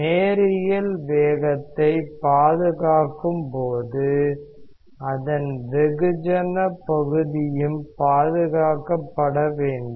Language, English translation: Tamil, And when we have our linear momentum conservation, the mass part of that should also be conserved